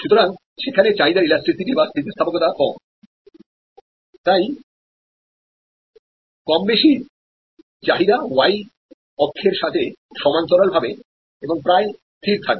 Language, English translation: Bengali, So, there is less elasticity of demand there, so more or less the demand will be steady almost parallel to the y axis